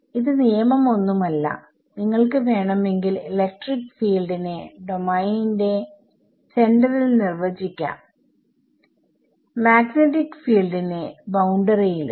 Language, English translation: Malayalam, So, it is not a golden rule you can have it the other way, you can define you electric fields to be at the centre of the domain and magnetic fields on the boundary